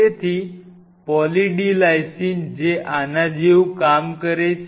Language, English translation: Gujarati, So, the way say Poly D Lysine works it is something like this